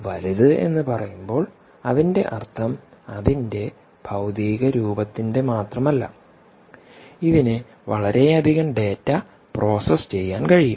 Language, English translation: Malayalam, when you say bigger, essentially we mean not just in terms of its physical appearance, but also the fact that it can process a lot more data